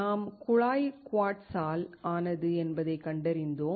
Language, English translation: Tamil, We found that the tube is made up of quartz